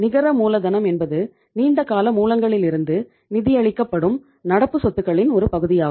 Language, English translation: Tamil, Net working capital is that part of the current assets which are financed from long term sources